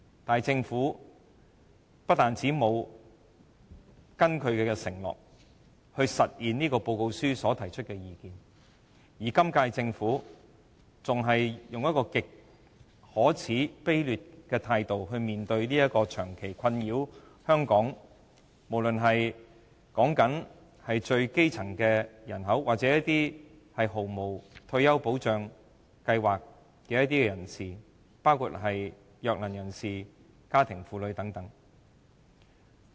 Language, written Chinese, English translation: Cantonese, 但是，政府不單沒有根據承諾實現該報告書提出的建議，今屆政府更以極可耻和卑劣的態度來面對這項長期困擾香港最基層人口或沒有退休保障的人士，包括弱能人士和家庭主婦等的問題。, Nevertheless the Government has not only failed to honour its promise and implement the recommendations made in the report the current - term Government has even adopted a most despicable attitude in addressing this problem which has been troubling the population at the most elementary level or people without retirement protection including people with disabilities housewives and so on